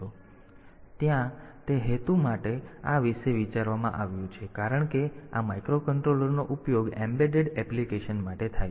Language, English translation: Gujarati, So, there for that purpose this has been thought about and since these microcontrollers are used for embedded application